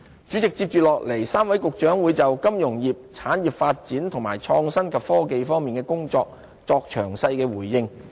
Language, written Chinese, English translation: Cantonese, 主席，接着 ，3 位局長會就金融業、產業發展和創新及科技方面的工作作出詳細回應。, President three Directors of Bureaux will give detailed replies on tasks related to finance development of our industries and innovation and technology